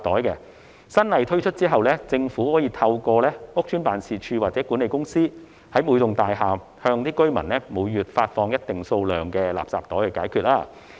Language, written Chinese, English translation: Cantonese, 當新法例實施後，政府可以透過屋邨辦事處或管理公司，每個月在每幢大廈向居民發放一定數量的垃圾袋。, Upon implementation of the new legislation the Government can distribute a certain number of garbage bags to the residents at each building every month through the estate offices or management companies